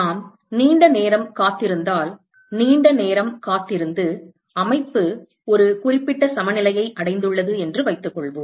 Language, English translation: Tamil, Supposing if we wait for a long time, wait for a long time and the system has achieved a certain equilibrium